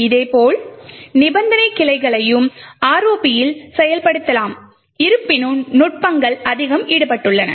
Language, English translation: Tamil, In a similar way we could also have conditional branching as well implemented in ROP although the techniques are much more involved